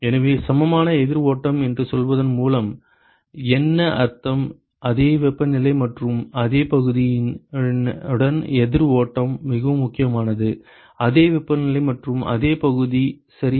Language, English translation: Tamil, So, what it means by saying equivalent counter flow; counter flow with same temperatures and same area that is very important same temperatures and same area ok